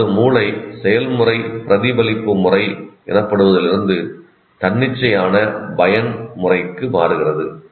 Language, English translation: Tamil, That means the brain process shifts from what is called reflective mode to reflexive mode